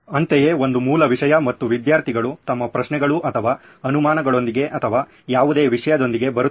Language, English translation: Kannada, Similarly a base content and students come up with their questions or doubts or whatsoever